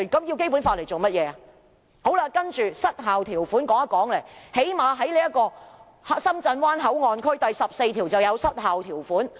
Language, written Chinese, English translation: Cantonese, 接着也談談"失效條款"，《深圳灣口岸港方口岸區條例》第14條是失效條款。, Next I would like to talk about the expiry clause . Section 14 of the Shenzhen Bay Port Hong Kong Port Area Ordinance is an expiry clause